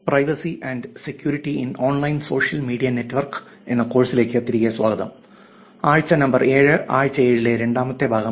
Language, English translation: Malayalam, Welcome back to the course Privacy and Security in Online Social Media, week number 7 second section of the week number seven